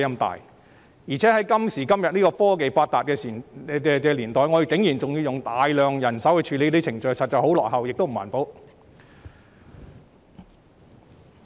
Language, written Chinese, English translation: Cantonese, 在現今科技發達的年代，我們還要用大量人手處理程序，這確實十分落後及不環保。, In this technology age it is indeed backward and environmentally unfriendly to deploy substantial manpower in handling MPF transactions